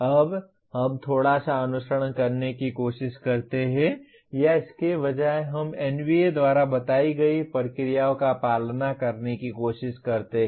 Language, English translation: Hindi, Now we try to follow a little bit or rather we try to follow the procedures indicated by NBA